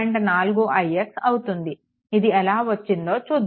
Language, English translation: Telugu, 4 i x what is how it is coming